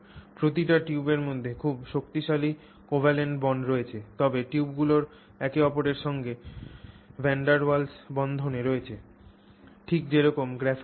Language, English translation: Bengali, So, within a tube there is very strong covalent bonding but between tubes there is VanderWals bonding just the way you have it in graphite